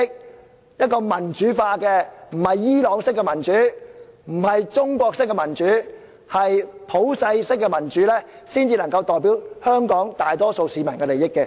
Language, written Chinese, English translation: Cantonese, 只有立法會民主化，不是伊朗式的民主，不是中國式的民主，而是普世式的民主，才能夠代表香港大多數市民的利益。, The Legislative Council can only represent the majority of Hong Kong people when it has become democratized not by the Iranian or Chinese - style of democracy but democracy based on universal standards